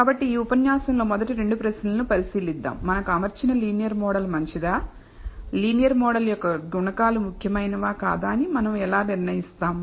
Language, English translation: Telugu, And so, we will look at the first two questions in this lecture which is to assess whether the linear model that we are fitted is good and how do we decide whether the coefficients of the linear model are significant